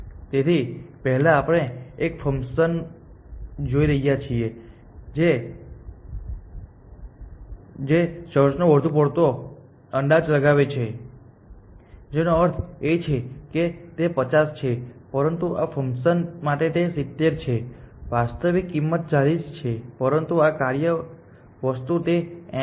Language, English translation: Gujarati, So, first we are looking at a function which over overestimates the costs which means that this actual cost for this is 50, but this function thing it is 70, actual cost for this is 40, but this function thing it is 80